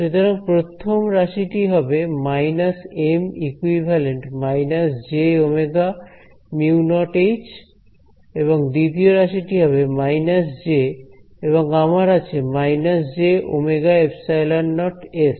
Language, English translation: Bengali, So, the first term over here will become minus M equivalent minus j omega mu naught H s right the second term becomes what do I have over here minus J and I have a minus j omega epsilon naught s